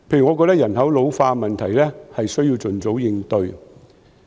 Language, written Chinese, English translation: Cantonese, 我覺得人口老化的問題需要盡早應對。, In my view the ageing population question needs to be tackled as soon as possible